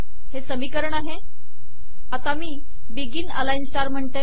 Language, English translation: Marathi, Here is the equation, so let me say begin align star